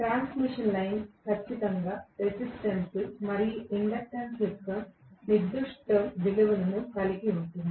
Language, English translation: Telugu, The transmission line has certain value of resistance and inductance definitely right